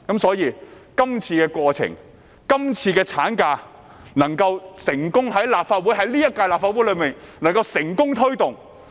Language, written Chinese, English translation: Cantonese, 所以，藉着這個過程，這項產假法案才能夠在今屆立法會內成功推動。, Hence through this process this maternity leave bill could be successfully taken forward in this term of the Legislative Council